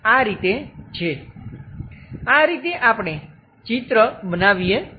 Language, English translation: Gujarati, This is the way, we construct a picture